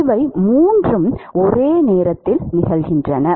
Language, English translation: Tamil, All three are occurring simultaneously